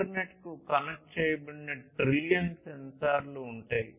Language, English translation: Telugu, There would be trillions of sensors connected to the internet